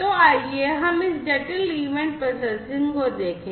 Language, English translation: Hindi, So, let us look at this complex event processing